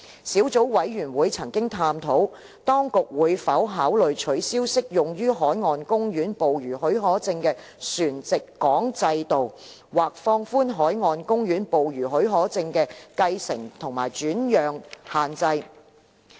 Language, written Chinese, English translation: Cantonese, 小組委員會曾探討，當局會否考慮取消適用於海岸公園捕魚許可證的船籍港制度，或放寬海岸公園捕魚許可證的繼承及轉讓限制。, The Subcommittee has explored whether the Administration will consider dispensing with the homeport system in issuing marine park fishing permits or relaxing the restrictions on the succession and transfer of marine park fishing permits